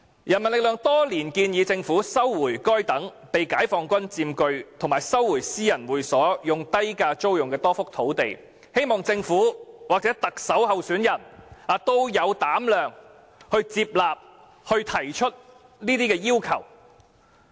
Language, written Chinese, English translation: Cantonese, 人民力量多年來建議政府收回該等被解放軍佔據及私人會所以低價租用的多幅土地，希望政府或特首候選人有膽量接納建議，提出這些要求。, People Power has over the years advised the Government to resume sites occupied by the Peoples Liberation Army or sites leased to private clubs at low prices . I hope that the Government or the Chief Executive candidates will be bold enough to accept such advice and make such demands